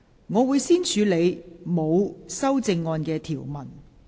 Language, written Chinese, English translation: Cantonese, 我會先處理沒有修正案的條文。, I will first deal with the clauses with no amendments